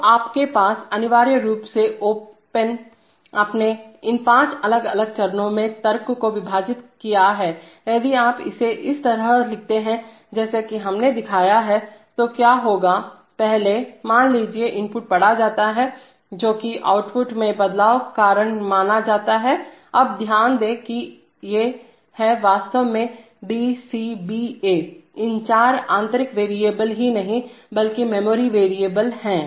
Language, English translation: Hindi, So you have, essentially you have broken up the logic into these five different steps now if you write it like this as we have shown then what will happen is that, first, suppose the input is read which will cause a which is supposed to cause a change in the output, now note that these are actually nothing but internal variables this D, C, B, A, these four are some just internal variables, there they have no, there they have, just you know, memory variables